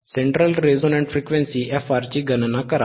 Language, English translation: Marathi, cCalculate central resonant frequency f R is this, right